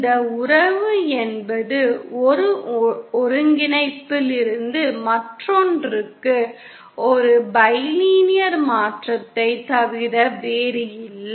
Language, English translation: Tamil, The relationship is nothing but a bilinear transformation from one coordinate to another